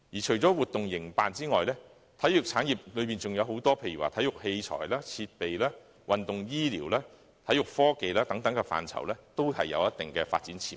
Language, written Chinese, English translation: Cantonese, 除了營辦活動外，體育產業還包括體育器材、設備、運動醫療、體育科技等範疇，這些範疇均有一定的發展潛力。, Apart from organizing activities the sports industry also covers such areas as sports equipment sports medicine sports technology and so on . All these areas have some measure of potential for development